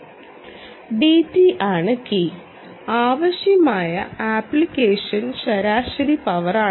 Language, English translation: Malayalam, t is the is the key and the application average power is